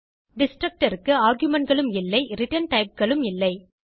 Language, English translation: Tamil, A destructor takes no arguments and has no return types